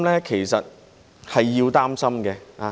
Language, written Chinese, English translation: Cantonese, 其實是要擔心的。, Actually there is something to worry about